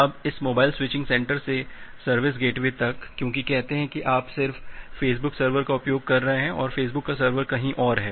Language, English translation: Hindi, Now from there from this mobile switching center to the service gateway, because say you are just accessing the Facebook server and the Facebook server is somewhere there in say USA